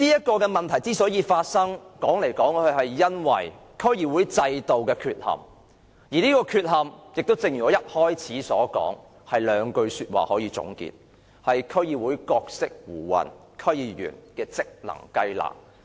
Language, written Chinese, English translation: Cantonese, 這個問題之所以發生，說到底，是因為區議會制度的缺陷，而這個缺陷正如我一開始所說，是兩句說話可以總結，便是"區議會角色胡混，區議員職能雞肋"。, After all this problem arises from the deficiency of the DC system and this deficiency can be summed up in the two clauses I mentioned at the very beginning that the role of DCs is ambiguous and the DC members cannot do anything